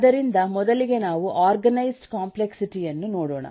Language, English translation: Kannada, let us take a look into the organized complexity